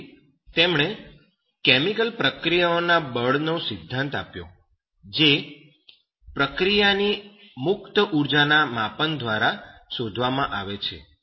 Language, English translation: Gujarati, So he gave that theory of force of chemical reactions which is determined by the measure of the free energy of the reaction process